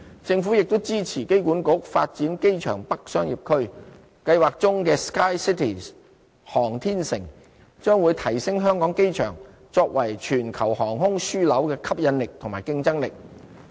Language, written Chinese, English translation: Cantonese, 政府亦支持機管局發展機場北商業區，計劃中的 "SKYCITY 航天城"將會提升香港機場作為全球航空樞紐的吸引力和競爭力。, The Government also supports the Airport Authority in developing the Airport North Commercial District where the planned SKYCITY development will enhance Hong Kong International Airports attractiveness and competitiveness as a global aviation hub